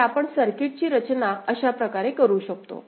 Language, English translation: Marathi, So, this is the way you can design the circuit